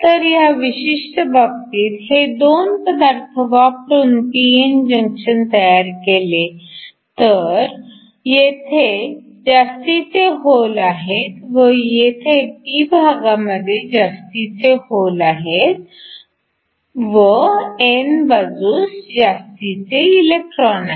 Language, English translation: Marathi, So in this particular case, if you form a p n junction with these 2, so these are the excess holes that are there in the p side, these are the excess electrons on the n side